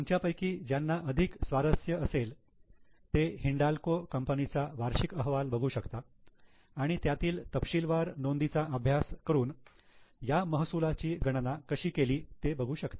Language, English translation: Marathi, Those who are more interested, you can go to the annual report of Hindalco and read the note that will give more details as to how this revenue has been calculated